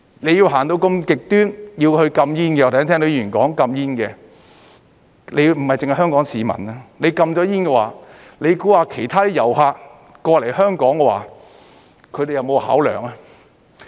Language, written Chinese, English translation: Cantonese, 你要走得如此極端，要去禁煙，我剛才聽到議員說要禁煙，不單是香港市民，如果禁了煙的話，你認為其他遊客來香港，他們會否有考量呢？, If you intend to go to such an extreme of imposing a smoking ban I have heard Members talking about a smoking ban just now it does not only affect Hong Kong people . If smoking is banned do you think whether other tourists will take this into account when coming to Hong Kong?